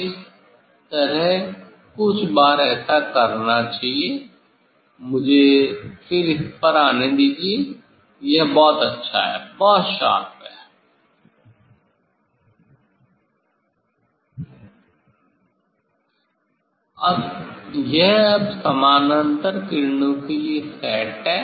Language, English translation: Hindi, this way few times one has to do, let me come back to this it is very nice, very sharp, this now is set for the parallel rays